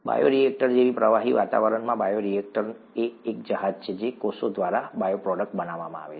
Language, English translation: Gujarati, In a fluid environment such as a bioreactor; bioreactor is a vessel in which bioproducts are made by cells